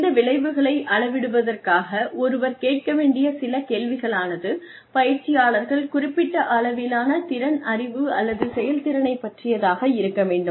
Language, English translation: Tamil, Some questions, that one needs to ask, to measure these effects are, have the trainees achieve the specific level of skill, knowledge, or performance